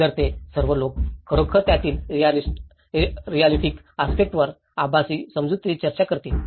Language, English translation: Marathi, So, all these people will actually discuss the real aspects of it, in a virtual understanding